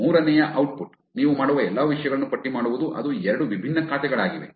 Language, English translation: Kannada, The third output is list on all the things that you will do which will make that it's two different accounts